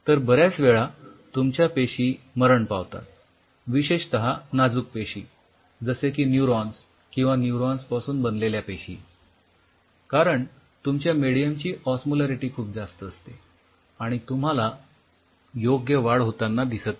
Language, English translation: Marathi, So, many a times your cells die especially fragile sense like neurons or neuron derivatize cells, because your cell has a very high osmolarity or you do not see the proper growth